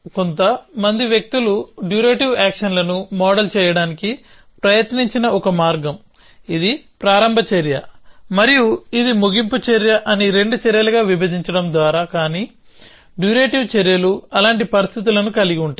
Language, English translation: Telugu, So, one way that some people have tried to model durative actions by seeing to split it into two actions saying, this is a start action and this is a end action, but durative actions will have know conditions like that